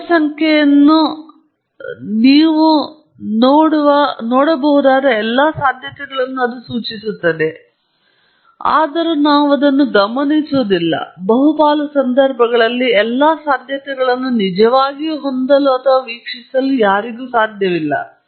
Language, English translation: Kannada, The population refers to all possibilities that you could have seen, although we do not observe that; it is not possible to really have or observe all the possibilities in most of the situations